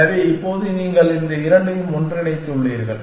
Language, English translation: Tamil, So, now that you have merge these two